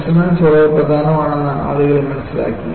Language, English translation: Malayalam, Then people realized resonance is very important